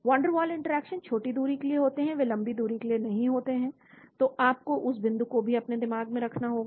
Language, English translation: Hindi, Van der waal interactions are over a short distance they are not long distance, so you need to keep that point also in your mind actually